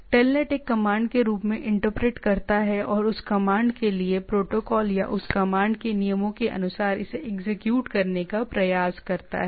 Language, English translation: Hindi, So, IAC after that there is any other code the TELNET interprets as a command and try to execute it as per the protocol for that commands or the rules for that commands